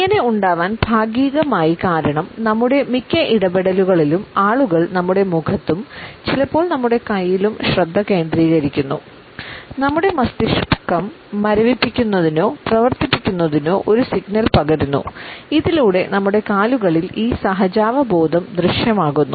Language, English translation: Malayalam, Partially it is there because during most of our interactions people tend to focus on our face and sometimes on our hands; our brain transmits a signals of freezing or running these instincts are visible in our legs